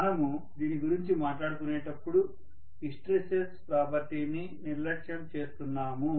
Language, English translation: Telugu, So we are neglecting of course hysteresis property when we are talking about this